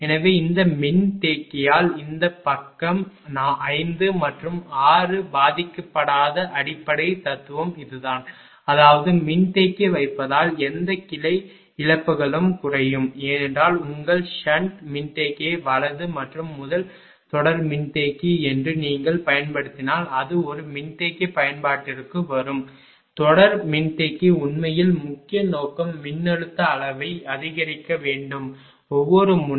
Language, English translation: Tamil, So, I mean this is the basic philosophy that mean this side 5 and 6 not affected by this capacitor; that means, whatever branch losses will reduce due to capacitor placement because whenever use your sun capacitor right and first is series capacitor if you put it will come to that for a capacitor application, series capacitor actually main purpose is to increase the voltage magnitude right of the each node